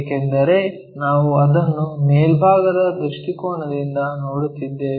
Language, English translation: Kannada, Because we are viewing it from the top view